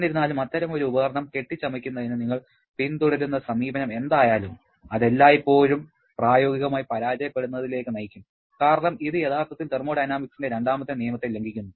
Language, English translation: Malayalam, However, whatever may be the approach you follow to fabricate such a device, it will always lead to a failure in practice because that actually violates the second law of thermodynamics